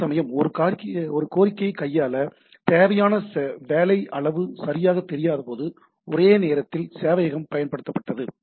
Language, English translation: Tamil, Whereas, concurrent server were used when the amount of work required to handle a request is unknown right